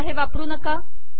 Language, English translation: Marathi, So do not use this